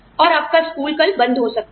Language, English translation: Hindi, And, your school could be shut down, tomorrow